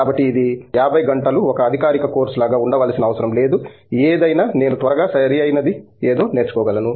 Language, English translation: Telugu, So, it does not had to be like a formal course for 50 hours or something, can I just learn something quickly, right